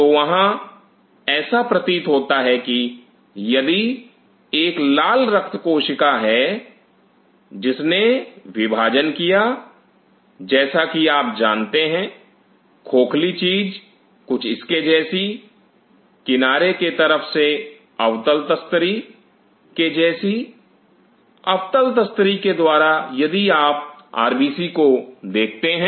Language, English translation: Hindi, So, apparently it looks like there, if this is a red blood cell which is devoid of it is a like kind of you know hollow stuff with something like the side view is concave disk, by concave disk if you look at RBC